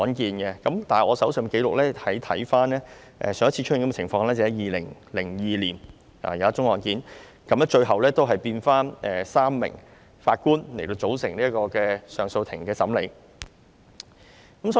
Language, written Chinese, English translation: Cantonese, 但是，我翻看手上的資料，上一次出現這個情況是2002年一宗案件，最後要回復由3名法官來組成上訴法庭審理這宗案件。, But if I refer to the information at hand the last time this did happen was in 2002 and CA had to rearrange a three - Judge bench to hear the case